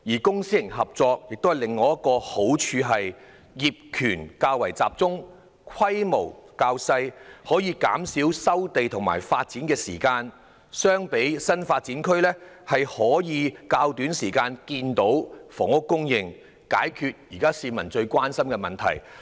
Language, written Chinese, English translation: Cantonese, 公私營合作的好處是業權較集中，規模較小，可縮短收地及發展所需的時間，與新發展區相比，可以在較短時間內看到房屋供應，解決市民現時最關心的問題。, The advantage of public - private partnership is that ownership is more centralized and the scale is smaller . The time needed for land resumption and development can thus be shortened . Housing supply can be attained in a shorter time when compared with developing new areas